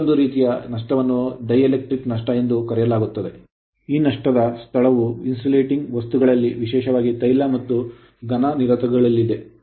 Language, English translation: Kannada, Another thing is called dielectric loss; the seat of this loss actually is in the insulating materials particularly oil and solid insulators right insulations right